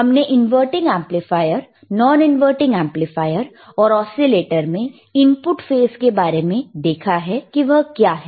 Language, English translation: Hindi, Wwe have seen in inverting amplifier, we have seen in non inverting amplifier, and iwe have seen in oscillators, that what is the input phase